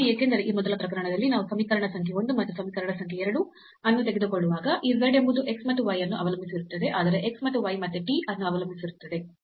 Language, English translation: Kannada, Because in this first case when we are taking equation number 1 and equation number 2 then this z depends on x and y, but the x and y again depends on t